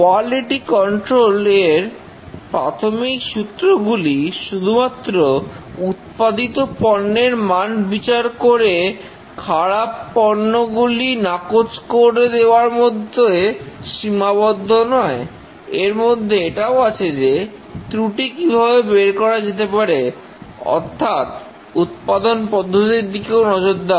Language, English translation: Bengali, The basic principles of the quality control is that not only test the manufactured products, detect and eliminate the bad products, but also determine what causes the defects